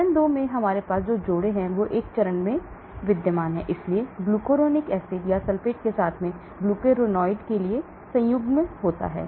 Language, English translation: Hindi, In phase 2 what we have is couples groups to existing in phase one, so conjugation for glucuronide with glucuronic acid or sulfate and so on actually